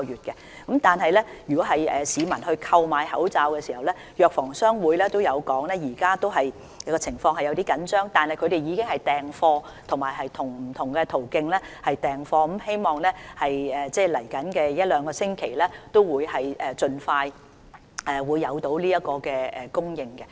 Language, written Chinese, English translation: Cantonese, 有關市民購買口罩的問題，藥房商會亦指出，現時供應情況雖然有點緊張，但各藥房已經訂貨，並且透過不同途徑訂貨，希望未來一兩星期可以盡快恢復供應。, Regarding the buying of masks by members of the public GCP says that the current supply is slightly tight yet drug stores have already placed their orders through various channels and it is hoped that the supply will be resumed as soon as possible within the next two weeks